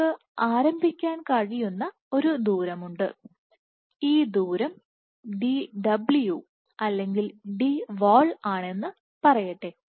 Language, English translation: Malayalam, So, there is a starting distance you can say let us say this distance is Dw or Dwall